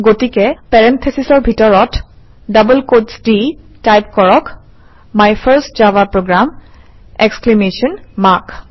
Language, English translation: Assamese, So Within parentheses in double quotes type, My first java program exclamation mark